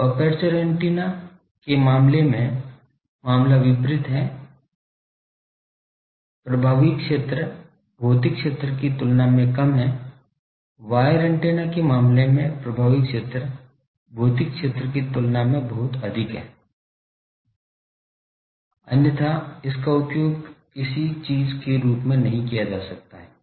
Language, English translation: Hindi, So, the case is opposite in case of aperture antenna, you the effective area is less than the physical area in case of wire antenna the physical area, the effective area is much greater than the physical area otherwise it cannot be used as a thing